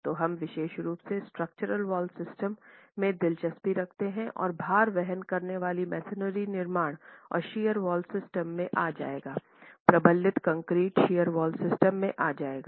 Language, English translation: Hindi, So, we are specifically interested in structural wall systems and that is where, as I said, load bearing masonry constructions and shear wall systems would come in